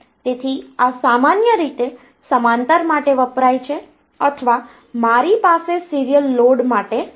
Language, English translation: Gujarati, So this normally stands for parallel or I have for the serial load